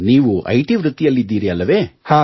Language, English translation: Kannada, You are from the IT profession,